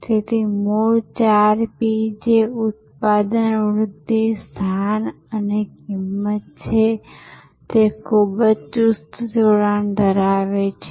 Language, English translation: Gujarati, So, the original four P's which are Product, Promotion, Place and Price had a very tight coupling